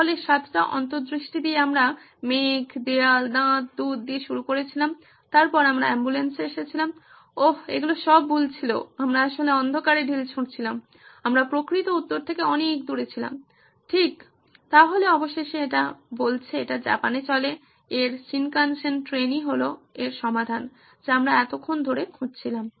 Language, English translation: Bengali, So with 7 insights we started with clouds, walls, teeth, milk then we came down to ambulance oh those were all wrong ones right, we were actually shooting in the dark, we were so far away from the actual answer right, so finally it says, it runs in Japan, its Shinkansen train is the solution we were looking for